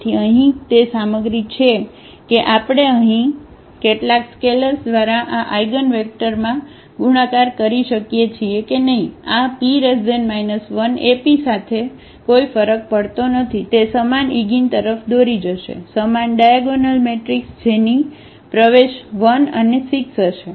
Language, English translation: Gujarati, So, here it is material that whether we multiply here to these eigenvectors by some scalars; it does not matter with this P inverse AP will lead to the same eigen, same diagonal matrix whose entries will be 1 and 6